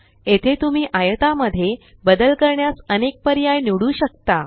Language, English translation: Marathi, Here you can choose various options to modify the rectangle